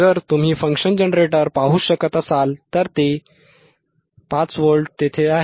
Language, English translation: Marathi, Let him focus on function generator theis is 5 Volt